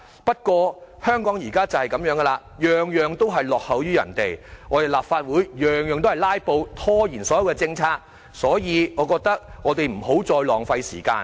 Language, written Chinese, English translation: Cantonese, 不過，香港現時的情況正是這樣，事事均落後於人，立法會事事也"拉布"，拖延所有政策，所以，我們不要再浪費時間。, But this is the prevailing trend in Hong Kong lagging behind others on virtually every front . Filibustering is a common sight in the Legislative Council thereby delaying the whole policymaking process . Hence we should waste no more time